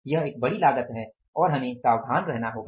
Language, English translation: Hindi, It is a big cost and we will have to be careful